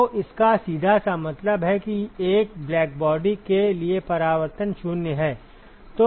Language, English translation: Hindi, So this simply means that reflectivity is 0 for a blackbody ok